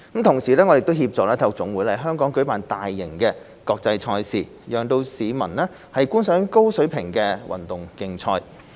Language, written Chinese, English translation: Cantonese, 同時，我們協助體育總會在香港舉辦大型國際賽事，讓市民觀賞高水平的運動競賽。, In parallel we facilitate the national sports associations NSAs in launching major international events in Hong Kong thereby allowing members of the public to appreciate high - level sports competitions